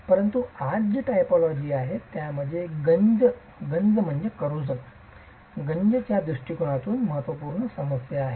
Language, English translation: Marathi, But today this is again a typology that has a significant problem from corrosion perspective